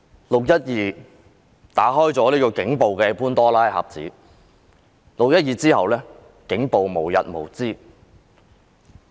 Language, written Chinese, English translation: Cantonese, "六一二"事件打開了警暴的潘朵拉盒子，其後警暴無日無之。, The 12 June incident opened the Pandoras box of police brutality and police brutality never ends thereafter